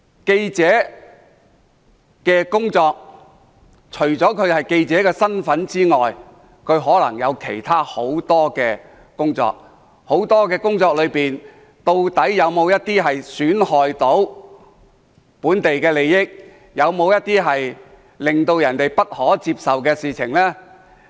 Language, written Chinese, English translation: Cantonese, 記者除了從事屬記者身份的工作外，亦可能有其他很多工作，在其各樣的工作中，究竟有否一些損害當地利益、有否一些令人不可接受的事？, Journalists may take up many other tasks apart from their work as news reporters and when undertaking other tasks will harm be done to the local interest that is unacceptable to that place?